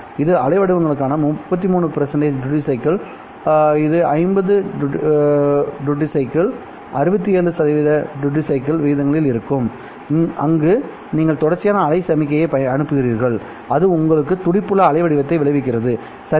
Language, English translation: Tamil, This is a 33% duty cycle, this is 50% duty cycle, and this is 67% duty cycle for the waveforms wherein you send in a continuous wave signal and outcomes your pulsed waveform